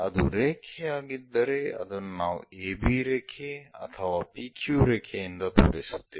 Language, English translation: Kannada, If it is a line, we show it by a b line, may be p q line, all these are lower case letters